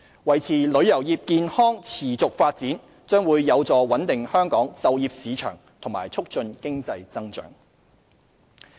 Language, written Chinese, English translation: Cantonese, 維持旅遊業健康持續發展，將會有助穩定香港就業市場和促進經濟增長。, Maintaining the healthy and sustained growth of the tourism industry will be conducive to the stabilization of the employment market and the promotion of economic growth of Hong Kong